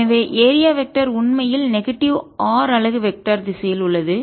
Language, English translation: Tamil, ok, and so therefore the area vector is actually in negative r unit vector direction